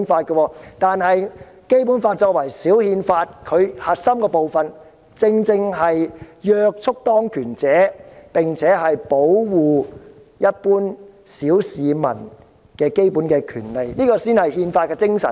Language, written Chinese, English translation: Cantonese, 《基本法》作為小憲法，其核心部分正正是約束當權者，並且保護一般小市民的基本權利，這才是憲法精神。, The core of the Basic Law serving as the mini - constitution precisely seeks to restrain those in power and protect the basic rights of the ordinary masses . This is exactly the spirit of the constitution